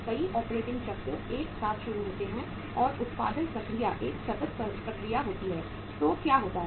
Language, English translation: Hindi, Many operating cycles simultaneously start and the production process being a continuous process so what happens